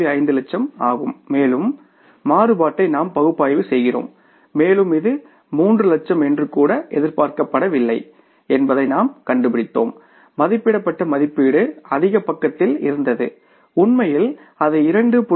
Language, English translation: Tamil, 5 lakhs and we did analyze the variance and we found out that it was not even expected to be 3 lakhs, the budget estimate was on the higher side